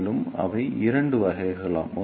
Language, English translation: Tamil, And they are of two types